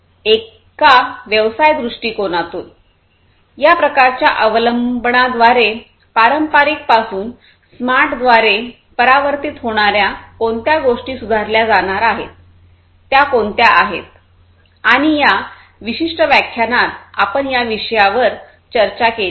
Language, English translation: Marathi, From a business perspective; what are the, what are the things that are going to be improved through this kind of adoption, transformation from the traditional to the smarter ones through a connected one, and so on, and this is what we have discussed in this particular lecture